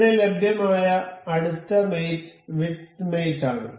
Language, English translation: Malayalam, So, the next mate available over here is width mate